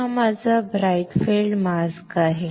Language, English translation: Marathi, So, this is my bright field mask right